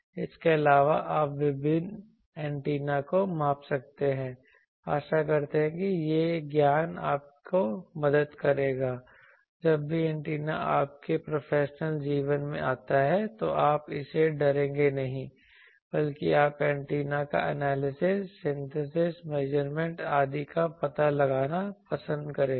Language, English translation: Hindi, Also you can measure various antennas hope that will this knowledge will help you whenever antenna comes in your professional life, you would not fear it rather you will love to explore that antennas either analysis synthesis measurement etc